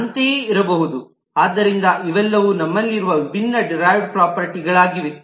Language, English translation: Kannada, so these are all different derived properties that we have